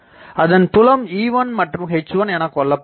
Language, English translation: Tamil, So, they are producing E1 and H1